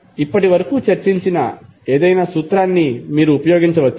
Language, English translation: Telugu, You can use any formula which we have discussed till now